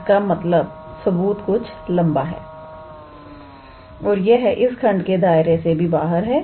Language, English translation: Hindi, The proof is a little bit lengthy and it is actually out of the scope of this lecture